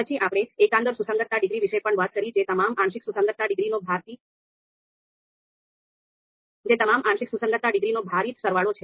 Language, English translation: Gujarati, Then we talked about the global dis global concordance degree which is nothing but the weighted sum of all the partial concordance degrees